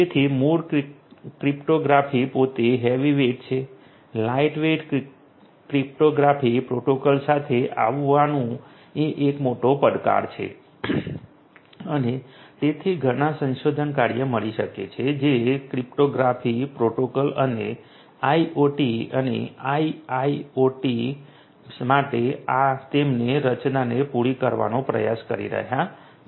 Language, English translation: Gujarati, So, original cryptography itself is heavy weight coming up with light weight protocols cryptographic protocols is a huge challenge and so there are lots of research work one would find which are trying to cater to cryptographic protocols and their design for IoT and IIoT